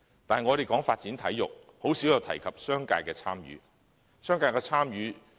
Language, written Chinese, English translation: Cantonese, 但是，我們談論發展體育時，鮮有提及商界的參與。, When we talk about sports development however the participation of the business sector is rarely mentioned